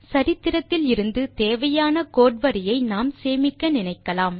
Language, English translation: Tamil, we would like to save the required line of code from history